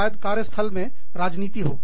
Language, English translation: Hindi, Maybe, there is politics at work